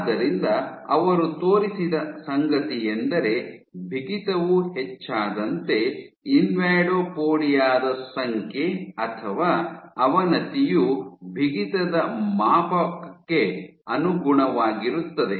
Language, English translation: Kannada, So, what she showed was that as you increase stiffness, the number of invadopodia or the degradation scales with stiffness